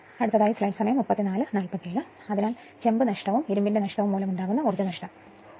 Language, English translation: Malayalam, So, due to copper loss and iron loss, you add you that is 2